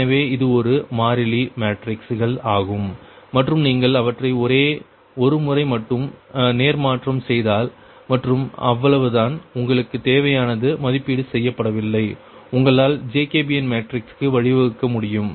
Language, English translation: Tamil, so it is a constant matrices and only if you invert them once, and thats all what you need, not evaluated, you can led jacobian matrix, right